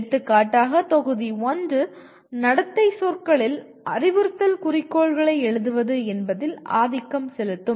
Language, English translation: Tamil, For example Module 1 will dominantly focus on how to write Instructional Objectives in behavioral terms